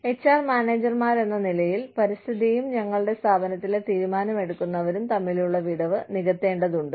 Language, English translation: Malayalam, We, as HR managers, need to bridge the gap between, the environment and the decision makers, in our organization